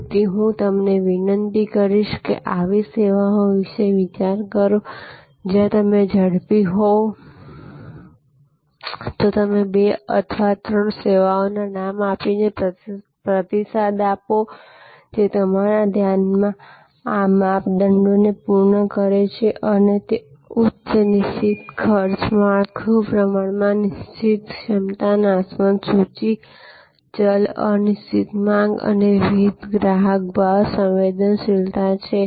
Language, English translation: Gujarati, So, I would request you to think about such services and if you are quick, then respond in the forum giving names of two or three services, which in your mind full fill these criteria; that is high fixed cost structure, relatively fixed capacity, perishable inventory, variable uncertain demand and varying customer price sensitivity